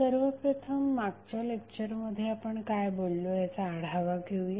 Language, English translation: Marathi, First, let us recap what we discussed in the last class